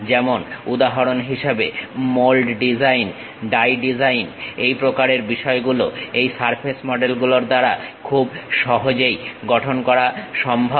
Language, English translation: Bengali, For example: like mold designs, die design this kind of things can be easily constructed by this surface models